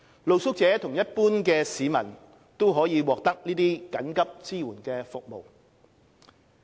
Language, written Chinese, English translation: Cantonese, 露宿者和一般市民均可獲得這些緊急支援服務。, These emergency support services are available to both street sleepers and general members of the public